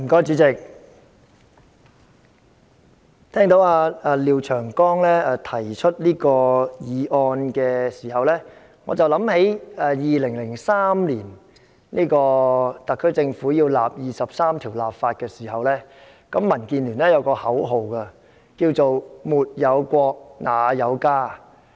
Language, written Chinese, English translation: Cantonese, 主席，聽到廖長江議員提出此議案時，我想起2003年特區政府就《基本法》第二十三條立法時，民主建港協進聯盟有一句口號：沒有國，哪有家。, President when I heard that Mr Martin LIAO was going to introduce this motion I recalled what happened in 2003 when the Government was trying to legislate on Article 23 of the Basic Law . Back then the Democratic Alliance for the Betterment and Progress of Hong Kong had a slogan There can be no home without the country but I was thinking the other way round